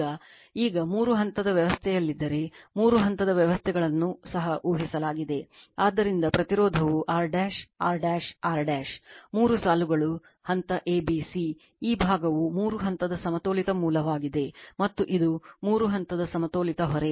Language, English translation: Kannada, Now, now this one your if for three phase system, we assumed also same thing that your three phase systems, so resistance is R dash, R dash, R dash; three lines is there phase a, b, c; this side is three phase balanced source right, and this is three phase balanced load